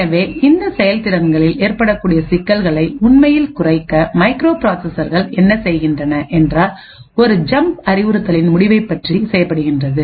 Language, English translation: Tamil, So, in order to actually reduce these performance overheads what microprocessors do is they speculate about the result of a jump instruction